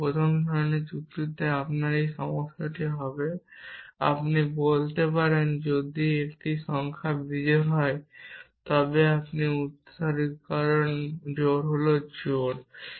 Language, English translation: Bengali, But in first sort of logic you would have this problem you could say if a number is odd then it is successor is even essentially